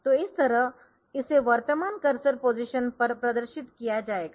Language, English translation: Hindi, So, that it will be displayed at current cursor position